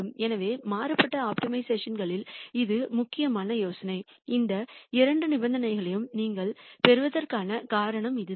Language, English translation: Tamil, So, that is the important idea in varied optimization and that is the reason why you get these two conditions